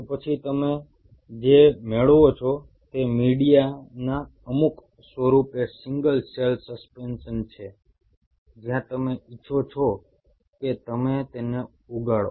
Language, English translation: Gujarati, Then what you get is a single cell suspension, in some form of media where you want you to grow them